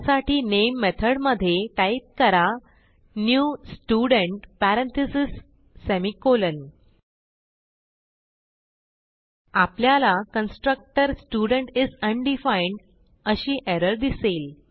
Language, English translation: Marathi, So in main method type new Student parentheses semi colon We see an error, it states that constructor Student is undefined